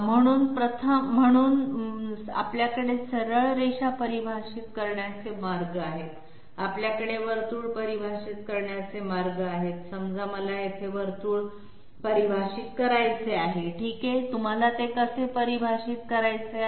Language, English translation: Marathi, And therefore, we have ways of defining straight lines, we have ways of defining circles, say I want to define a circle here okay, how would you would you like to define it